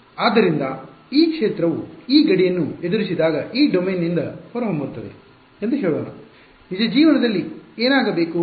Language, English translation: Kannada, So, whatever field is let us say emanating from this domain when it encounters this boundary what should happen in real life